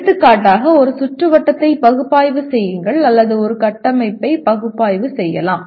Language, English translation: Tamil, For example you can say analyze a circuit which is or analyze a structure